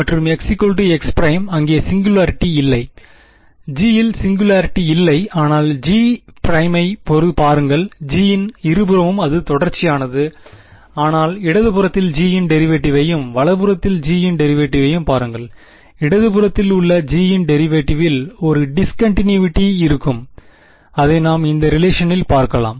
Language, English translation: Tamil, There is no singularity in G, but look at G prime G on both sides it is continuous, but look at the derivative of G on the left hand side and the derivative of G on the right hand side; the discontinuity is in the derivative right which we sort of saw in this relation, the derivative was discontinuous ok